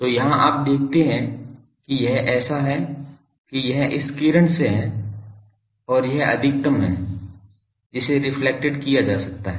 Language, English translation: Hindi, So, here you see that that it is such that this is this ray from this and this is the maximum that can be reflected